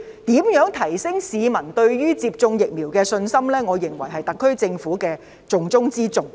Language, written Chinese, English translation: Cantonese, 如何提升市民對於接種疫苗的信心，我認為是特區政府的重中之重。, I think it is the top priority of the SAR Government to boost peoples confidence in vaccination